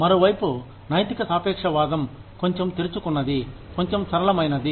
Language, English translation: Telugu, Ethical relativism, on the other hand, is a little more open, little more flexible